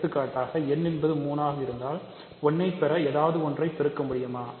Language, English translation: Tamil, So, for example, if n is 3 can you multiply with something to get 1